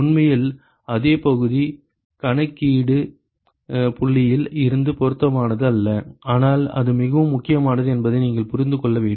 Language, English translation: Tamil, In fact, the same area is not relevant from the calculation point of view, but you must understand that that is very important ok